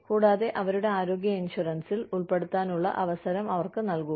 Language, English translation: Malayalam, And, give them the opportunity, to put into their health insurance